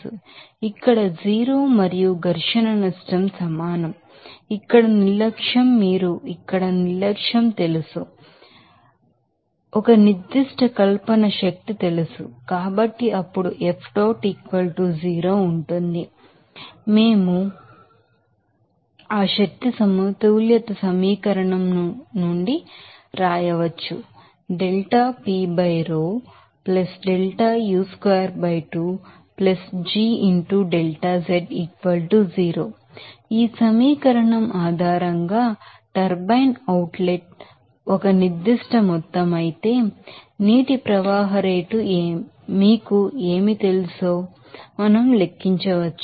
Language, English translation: Telugu, So, delta u squared here that will be equal to 0 and friction loss we can you know neglect here you know a specific fiction energy you can neglect here So, F dot it a hat that would be = 0 then, we can write from that energy balance equation So, based on this equation, we can calculate what will be you know water flow rate that is V if the turbine output is a certain amount there